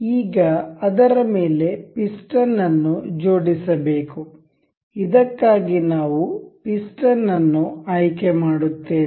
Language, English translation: Kannada, Now, to attach the piston over it, we will select the piston for this